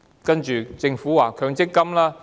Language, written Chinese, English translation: Cantonese, 接着，政府提出強積金。, Then the Government proposed the MPF System